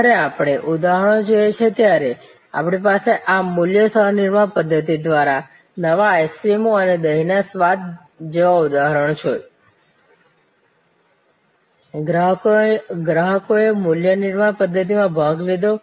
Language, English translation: Gujarati, So, when we look at the examples; obviously, we have examples like new ice cream and yogurt flavors being created through this value co creation method, customers participated in value creation method